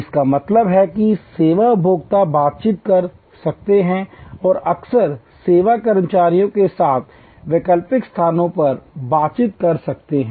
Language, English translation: Hindi, That means, service consumers can interact and can often actually alternate places with the service employees